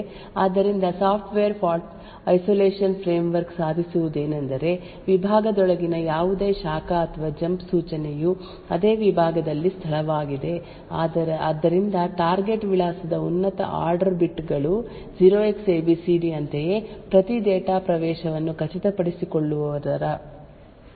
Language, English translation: Kannada, So what the Software Fault Isolation framework achieves is that any branch or jump instruction within the segment is to a location in the same segment so this is done by ensuring or checking that the higher order bits of the target address is 0Xabcd similarly every data access by an instruction in this particular segment can be done to a memory location which has an address starting with 0Xabcd